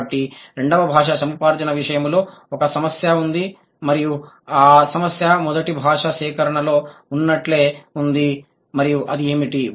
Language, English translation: Telugu, So, in case of second language acquisition, there is a problem and the problem is same as it is in the first language acquisition